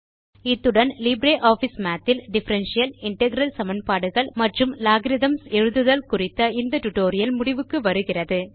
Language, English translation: Tamil, This brings us to the end of this tutorial on writing Differential and Integral equations and logarithms in LibreOffice Math